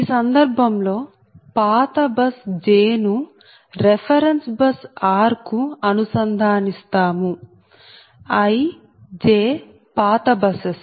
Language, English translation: Telugu, in this case an old bus, j is connected to the reference bus